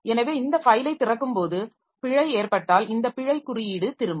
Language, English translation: Tamil, So, if there was an error while opening this file, so this error code will be returned